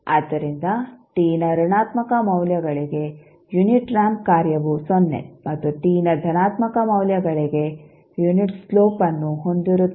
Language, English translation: Kannada, So, unit ramp function is 0 for negative values of t and has a unit slope for positive value of t